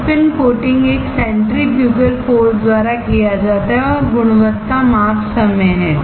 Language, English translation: Hindi, Spin coating is done by a centrifugal force and the quality measure is time